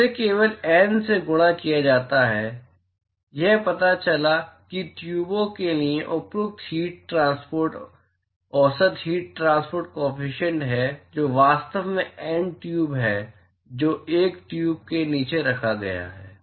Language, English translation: Hindi, It is just multiplied by N; it turns out that is the appropriate heat transport, average heat transport coefficient for tubes which are actually N tube which is placed one below the other